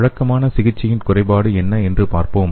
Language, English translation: Tamil, So let us see what the drawback of conventional therapy is